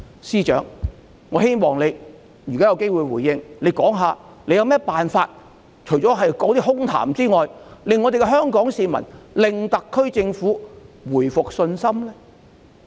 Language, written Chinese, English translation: Cantonese, 司長，如果你之後有機會回應，我希望你說說除了空談之外，有何辦法令香港市民恢復對特區政府的信心呢？, Chief Secretary if you have the opportunity to give a response later I hope you will talk about the ways apart from empty talks to restore Hongkongers confidence in the Special Administrative Region SAR Government